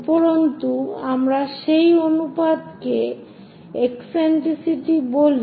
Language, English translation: Bengali, And that ratio what we call in geometry as eccentricity